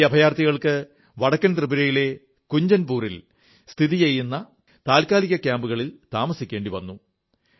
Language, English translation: Malayalam, These refugees were kept in temporary camps in Kanchanpur in North Tripura